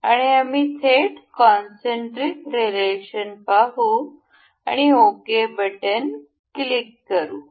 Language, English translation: Marathi, And we will directly see concentric relation and click ok